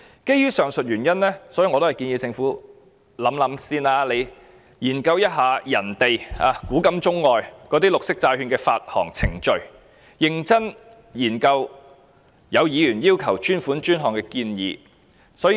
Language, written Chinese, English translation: Cantonese, 基於上述原因，我建議政府先研究其他地方的綠色債券發行程序，認真審視議員要求專款專項的建議。, For the aforesaid reasons I suggest the Government first conduct a study on the issuance procedures of green bonds in other places and seriously examine the Members proposal of dedicated funding for dedicated purposes